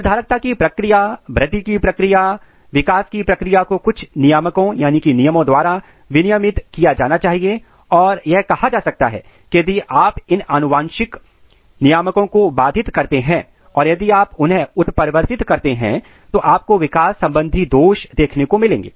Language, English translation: Hindi, The process of determinacy, process of growth, process of development has to be regulated by certain regulator and needless to say if you disrupt these genetic regulators or if you mutate them you are going to see the developmental defect